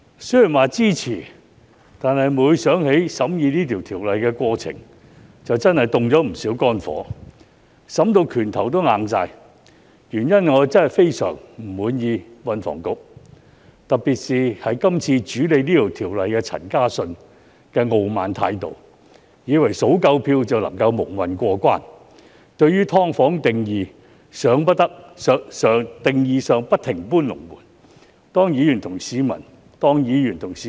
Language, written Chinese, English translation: Cantonese, 雖說支持，但每當我想起審議《條例草案》的過程，便真的會大動肝火，甚至"拳頭也硬了"，原因是我對運輸及房屋局真的非常不滿，特別是主理《條例草案》的陳嘉信，他態度傲慢，以為數夠票便能蒙混過關，對"劏房"的定義不停"搬龍門"，以為可以輕易瞞騙議員和市民。, Despite my support I will really get furious and even clench my fist whenever I look back on the scrutiny of the Bill because I am really dissatisfied with the Transport and Housing Bureau especially the official in charge of the Bill Carlson CHAN . He has such an arrogant attitude that he thought he could muddle through after securing enough votes . By constantly moving the goalposts on the definition of subdivided units SDUs he thought he could easily deceive Members and the public